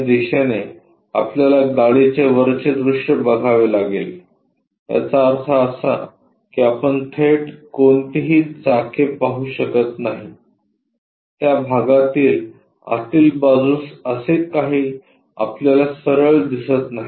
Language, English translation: Marathi, From this direction, we have to observe the top view of the car, that means, we cannot straight away see any wheels, we cannot straight away see anything like these inside of that parts